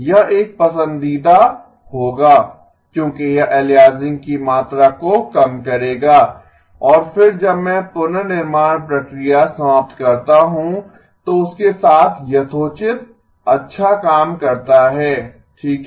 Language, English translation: Hindi, This would be a preferred one because that will reduce the amount of aliasing and then when I do the reconstruction process is done, does a reasonably good job with that right